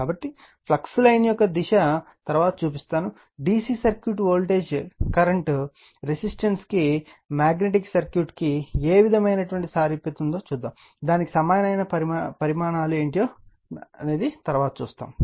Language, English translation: Telugu, So, direction of the you are what you call flux line later we will show you that is analogy to DC circuit voltage current resistance to your what you call magnetic circuit what are those quantity for analogous to that right